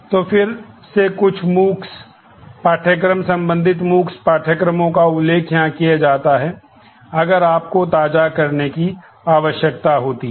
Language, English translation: Hindi, So, again some MOOCs courses the related MOOCs courses are mentioned here in case you need to brush up